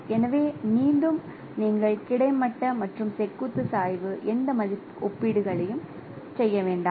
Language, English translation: Tamil, So, again you do not do any comparisons of horizontal and radical gradient